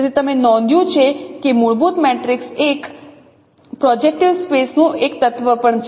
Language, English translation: Gujarati, So you note that fundamental matrix is also an element of a projective space